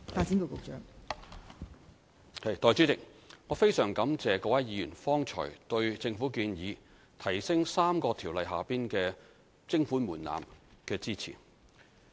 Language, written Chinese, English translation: Cantonese, 代理主席，我非常感謝各位議員剛才對政府建議提高3項條例下的徵款門檻的支持。, Deputy President I sincerely thank Members for supporting the Governments proposal to increase the levy thresholds under the three Ordinances